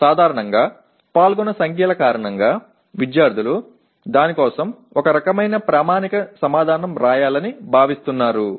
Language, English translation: Telugu, Generally because of the numbers involved, the students are expected to write a kind of a standard answer for that